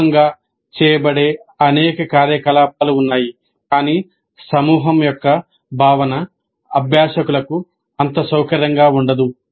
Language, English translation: Telugu, There are several activities which are done as a group but the concept of a group itself may be not that comfortable for the learners